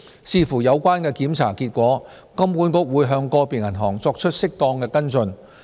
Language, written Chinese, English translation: Cantonese, 視乎有關檢查結果，金管局會向個別銀行作出適當的跟進。, Depending on the results of the inspections HKMA may take appropriate follow - up actions with individual banks